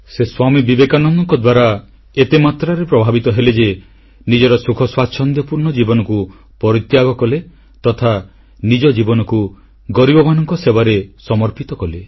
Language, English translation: Odia, She was so impressed by Swami Vivekanand that she renounced her happy prosperous life and dedicated herself to the service of the poor